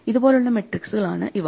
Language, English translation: Malayalam, These are matrices which look like this